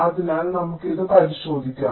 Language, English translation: Malayalam, so let us look into this